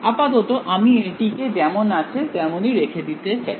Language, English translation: Bengali, For now we will leave it as it is